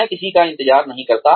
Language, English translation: Hindi, Time waits for nobody